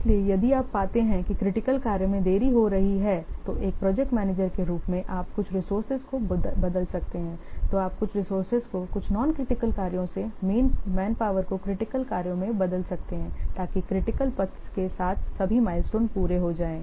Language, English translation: Hindi, So, if you find that the critical tax they are getting delayed then as a project manager you may switch some of the resources, you may differ some of the resources, some of the manpower from the non critical tax to the critical tax so that all mindstones along the critical path they will be made